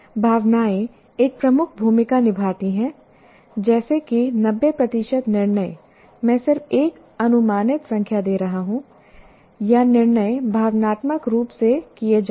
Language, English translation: Hindi, Emotions play a dominant role, something like 90% of the decisions are, I'm just giving an approximate number, or decisions are made emotionally